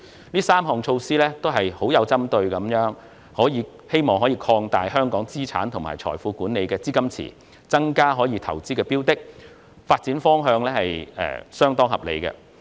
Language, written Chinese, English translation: Cantonese, 這3項針對性措施均旨在擴大香港在資產及財富管理方面的資金池，以及增加可投資標的，此發展方向相當合理。, These three targeted measures are all aimed to expand the liquidity pool of the asset and wealth management industry in Hong Kong and introduce more products that are eligible for investment . The development direction is pretty reasonable